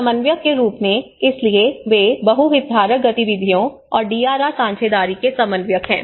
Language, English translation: Hindi, As coordinators, so they are coordinators of multi stakeholder activities and DRR partnerships